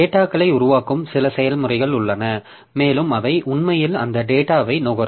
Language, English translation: Tamil, So, there are some process which are producing some data and there are some process which is actually consuming the data